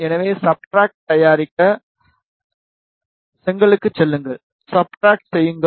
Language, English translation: Tamil, So, to make substrate, go to brick, make substrate